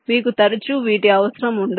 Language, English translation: Telugu, you always do not need their